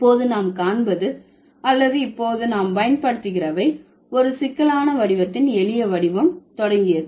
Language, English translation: Tamil, So, now what we see or now what we use, that is the simpler form of a complex form to begin with